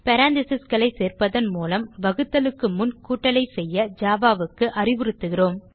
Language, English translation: Tamil, By adding parentheses, we instruct Java to do the addition before the division